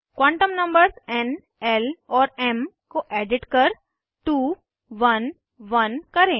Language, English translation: Hindi, Edit n, l and m quantum numbers to 2 1 1